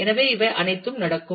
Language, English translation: Tamil, So, all the all these happens